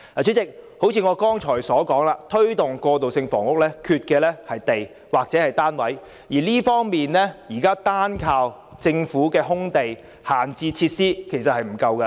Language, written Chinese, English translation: Cantonese, 主席，正如我剛才所說，推動過渡性房屋欠缺的是土地或單位，現時單靠政府的空置用地及閒置設施實不足夠。, President as I have just said we lack land or housing units for the provision of transitional housing . Now solely depending on idle lands and vacant facilities of the Government is not enough